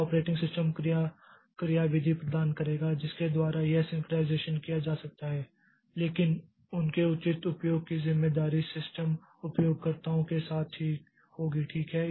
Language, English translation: Hindi, So, operating system will provide mechanism by which this synchronization can be done, but their proper utilization, the responsibility lies with the system users